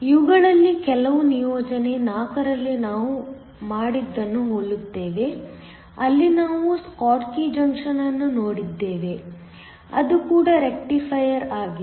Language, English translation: Kannada, Some of this will be similar to what we did in assignment 4, where we looked at the schottky junction, which is also a rectifier